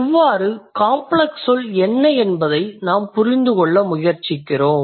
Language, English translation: Tamil, So, that's how we are trying to or we are trying to understand what a complex word is